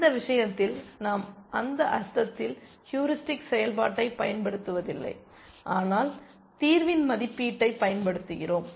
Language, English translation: Tamil, In this case we do not use the heuristic function in that sense, but we use an estimate of the solution